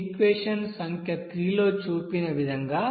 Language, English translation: Telugu, as shown here in the equation number 3